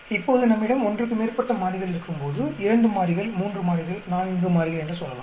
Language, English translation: Tamil, Now, when we have more than one variable, say two variables, three variables, four variables